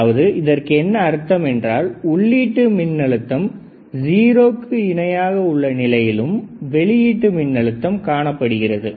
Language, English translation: Tamil, That when I have input voltage is equal to 0 equal to 0, I see that there is a presence of output voltage there is a presence of output voltage